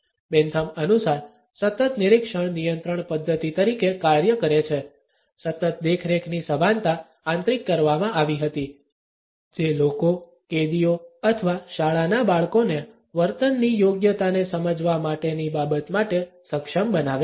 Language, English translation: Gujarati, The constant observation according to Bentham acted as a control mechanism; a consciousness of constant surveillance was internalized, which enabled the people, the prisoners or the school children for that matter to understand the propriety of behaviour